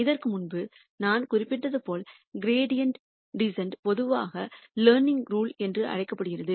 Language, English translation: Tamil, And as I mentioned before this, gradient descent is usually called the learning rule